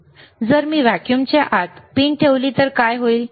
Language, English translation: Marathi, So, if I put a pin inside the vacuum, what will happen